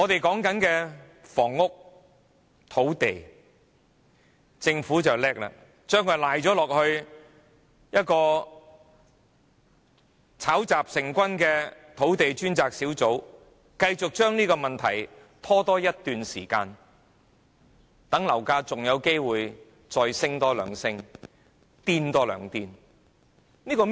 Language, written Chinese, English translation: Cantonese, 至於房屋、土地方面，政府很精明，把責任推卸給一個炒雜成軍的土地供應專責小組，繼續將這問題拖延一段時間，讓樓價還有機會繼續攀升，繼續瘋狂。, When it comes to housing and land the Government is so smart that it shirks its responsibility to the Task Force on Land Supply with members of various backgrounds so that this problem can be procrastinated for another period of time during which the property prices can have a chance to soar further irrationally